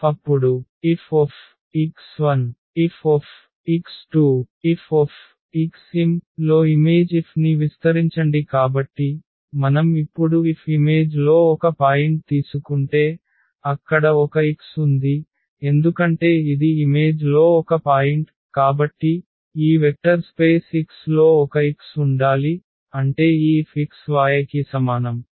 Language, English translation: Telugu, So, if we take a point in the image F now and there exists a X because this is a point in the image, so, there must exists a X in this vector space X such that this F x is equal to y